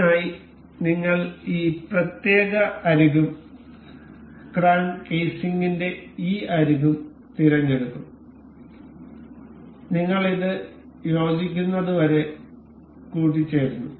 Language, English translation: Malayalam, For this, we will select the this particular edge and the this edge of the crank casing, we will mate it up to coincide